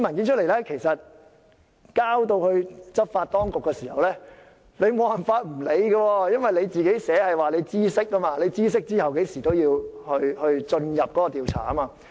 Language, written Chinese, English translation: Cantonese, 如果把這些文件交到執法當局，就無法不理會，因為法例訂明知悉事情後甚麼時間內便要進入調查。, The complainant also provided some documents . If these documents are submitted to the law enforcement agencies they cannot ignore the matter because the law provides that investigation shall commence within a certain period after notice of the matter